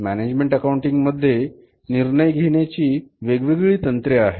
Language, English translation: Marathi, So, in the management accounting there are different techniques of management decision making